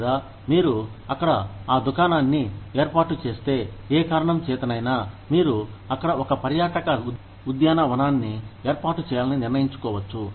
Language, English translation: Telugu, Or, if you set up shop there, for whatever reason, you may decide to put up a, say, a tourist park, over there